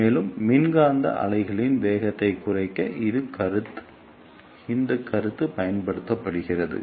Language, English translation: Tamil, And this concept is used to reduce the velocity of electromagnetic wave